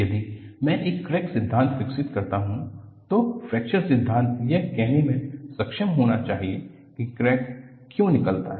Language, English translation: Hindi, If I develop a fracture theory, the fracture theory should be able to say why a crack branches out